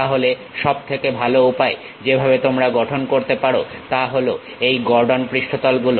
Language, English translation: Bengali, Then the best way of looking at that is using these Gordon surfaces